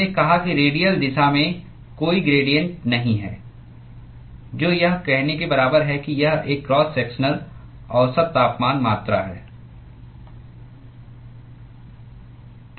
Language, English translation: Hindi, We said that there is no gradient in the radial direction which is equivalent to saying that it is a cross sectionally average temperature quantity